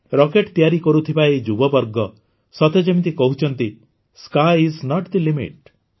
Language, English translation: Odia, As if these youth making rockets are saying, Sky is not the limit